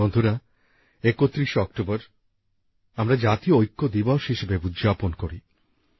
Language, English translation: Bengali, Friends, we celebrate the 31st of October as National Unity Day